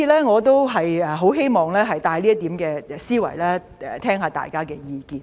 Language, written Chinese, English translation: Cantonese, 我希望帶出這點思維，聆聽大家的意見。, I wish to put forward this idea and will listen to what Members think